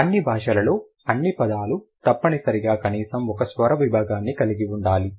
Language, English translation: Telugu, In all languages, all words must include at least one vocalic segment